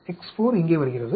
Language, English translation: Tamil, X 4 comes here